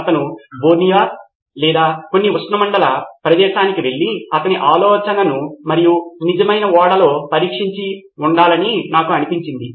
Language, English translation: Telugu, To me in hindsight looks like he should have gone to Borneo or some tropical place and tested his idea and on a real ship